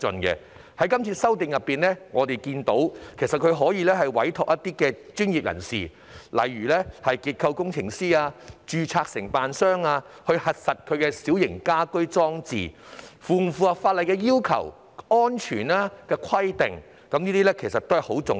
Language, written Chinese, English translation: Cantonese, 這次修例後，市民可委託專業人士，例如結構工程師或註冊承建商，核實其小型家居裝置是否符合法例要求的安全規定，這點很重要。, After this amendment exercise the public can engage professionals such as structural engineers or registered contractors to validate if their minor household features comply with the safety requirements of the law which is very important